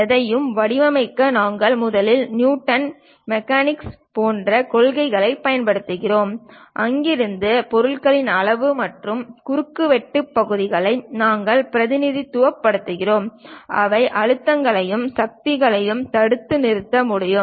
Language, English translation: Tamil, To design anything, we use first principles like Newton mechanics, and from there we represent object size, cross sectional areas which can withhold the stresses and forces